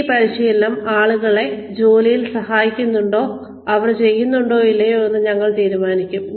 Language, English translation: Malayalam, How do we decide, whether this training is helping people in the jobs, that they are doing or not